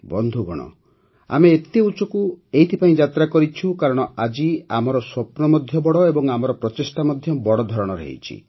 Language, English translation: Odia, Friends, we have accomplished such a lofty flight since today our dreams are big and our efforts are also big